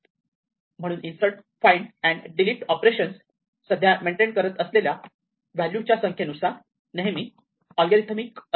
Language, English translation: Marathi, So, all the operations insert, find and delete they always be logarithmic respect to the number of values currently being maintained